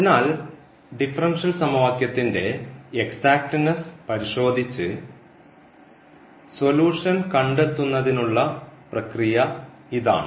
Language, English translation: Malayalam, So, that is the process for finding the solution checking the exactness of the differential equation